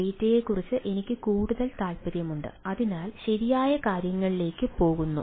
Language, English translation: Malayalam, i am more concerned about the data which is going to the things right